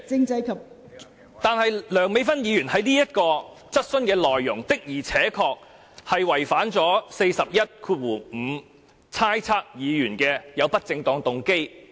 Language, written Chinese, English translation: Cantonese, 代理主席，然而，梁美芬議員這項質詢的內容，的確違反了《議事規則》第415條，即意指另一議員有不正當動機。, Deputy President the content of Dr Priscilla LEUNGs question however has really violated Rule 415 of the Rules of Procedure which says that a Member shall not impute improper motives to another Member